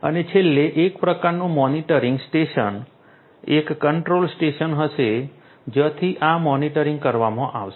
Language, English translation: Gujarati, And finally, there is going to be some kind of a monitoring station a control station from where this monitoring is going to be performed